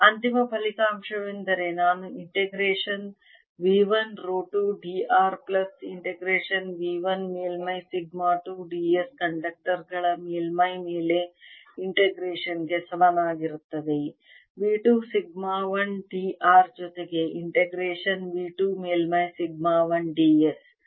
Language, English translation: Kannada, the final result will come out to be that i have integration v one rho two d r plus integration v one surface sigma two d s over the surface of the conductors is going to be equal to integration v two sigma one d r plus integration v two surface sigma one d s